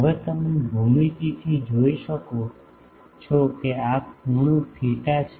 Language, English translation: Gujarati, Now, you can see from the geometry that this angle is theta